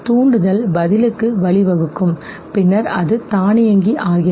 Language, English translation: Tamil, A stimulus leading to response and how automated it becomes